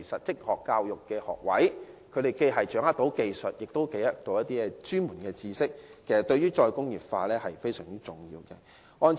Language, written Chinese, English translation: Cantonese, 職業教育學位能培訓掌握技術及專門知識的人才，對於"再工業化"非常重要。, Vocational education helps train up people who can grasp the technology and expertise which are extremely essential to re - industrialization